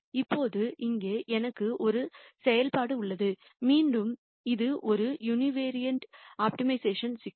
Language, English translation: Tamil, Now, here I have a function and again it is a univariate optimization problem